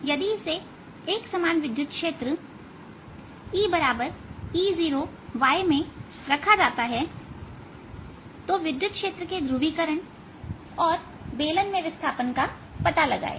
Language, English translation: Hindi, if it is put in a uniform electric field, e equals e, zero, y find the electric field, polarization and displacement in the cylinder